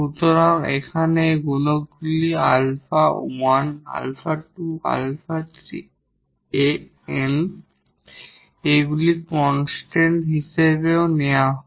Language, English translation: Bengali, So, these coefficients here a 1, a 2, a 3, a n they are also taken as constants